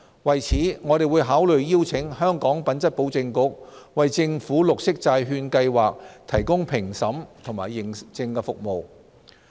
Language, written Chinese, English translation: Cantonese, 為此，我們會考慮邀請香港品質保證局為政府綠色債券計劃提供評審及認證服務。, To this end we would consider inviting the Hong Kong Quality Assurance Agency HKQAA to provide review and certification services for the Programme